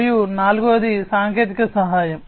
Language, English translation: Telugu, And the fourth one is the technical assistance